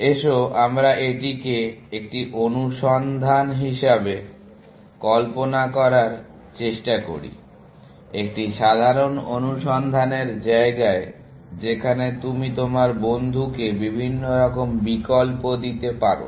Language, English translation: Bengali, So, let us try to visualize this as a search, in a simple search space where, you give different options to your friend